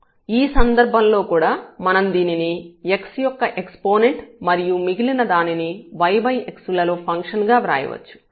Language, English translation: Telugu, In this case also we can write down this as x power something and the rest we can consider as the function of y over x